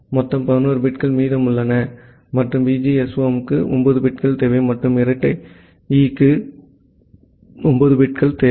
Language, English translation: Tamil, So, total 11 bits are remaining, and VGSOM requires 9 bits, and double E requires 9 bits